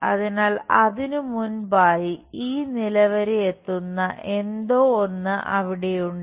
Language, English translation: Malayalam, So, there is something like that goes via up to this level somewhere before that